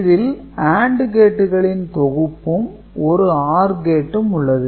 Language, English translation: Tamil, So, that is one bank of AND gate and there is OR gate